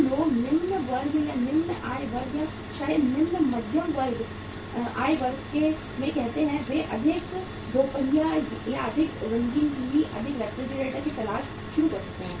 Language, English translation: Hindi, People who are say in the in the lower classes or lower income groups or maybe the lower middle income groups, they may start looking for more two wheelers, more colour TVs, more refrigerators